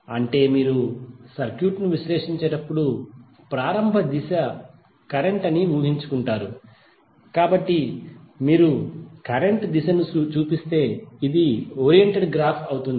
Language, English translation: Telugu, That means that you when you analysis the circuit you imagine a the initial direction of may be the current, so then if you show the direction of the current then this will become a oriented graph